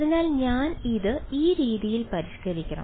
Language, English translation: Malayalam, So, I must modify this in this way